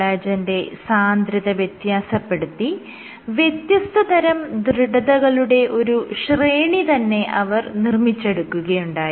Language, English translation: Malayalam, So, she varied the concentration of collagen and this allowed her to generate a range of different stiffness’s